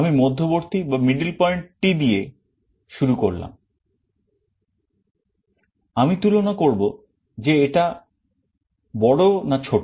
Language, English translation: Bengali, I start with the middle point, I compare whether it is less or greater